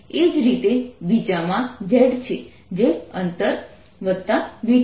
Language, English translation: Gujarati, similarly, the second one has z, which is distance plus v t